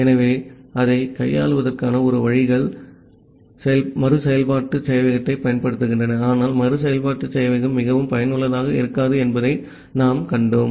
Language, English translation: Tamil, So, one ways to handle it is using the iterative server, but as we have seen that the iterative server may not be very useful